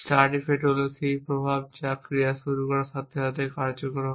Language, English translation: Bengali, Start effects are the effect which comes into play as soon as actions begin